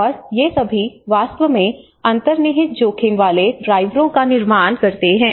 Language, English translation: Hindi, And these are all actually formulates the underlying risk drivers